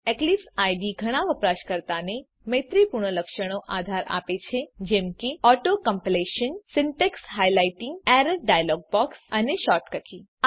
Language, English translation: Gujarati, Eclipse IDE supports many user friendly features such as Auto completion, Syntax highlighting, Error dialog box, and Shortcut keys